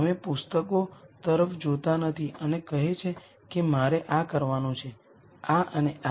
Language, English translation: Gujarati, You do not keep looking at books and say I have to do this, this and this